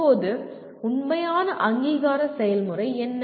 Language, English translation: Tamil, Now, what is the actual accreditation process